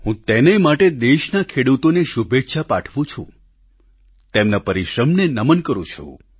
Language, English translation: Gujarati, For this I extend felicitations to the farmers of our country…I salute their perseverance